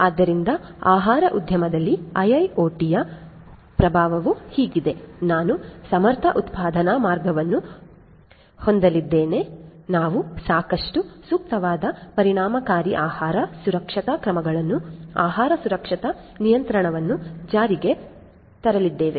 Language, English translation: Kannada, So, the impact of IIoT in the food industry is like this that we are going to have efficient production line, we are going to have adequate, suitable, efficient food safety measures, the food safety regulation implemented